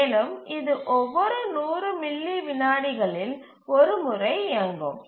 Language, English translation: Tamil, And it runs once every 100 milliseconds